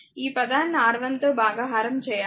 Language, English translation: Telugu, Divide this one by R 1